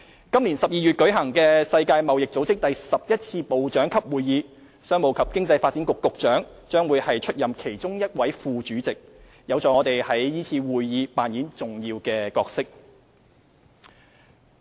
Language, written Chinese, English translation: Cantonese, 今年12月舉行的世界貿易組織第十一次部長級會議，商務及經濟發展局局長會出任其中一位副主席，有助我們在是次會議扮演重要角色。, The Secretary for Commerce and Economic Development will be one of the Vice Chairs of the WTOs Eleventh Ministerial Conference to be held in December this year . This will help Hong Kong play an important role in the Conference